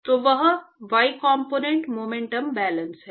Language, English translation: Hindi, So, that is the y component momentum balance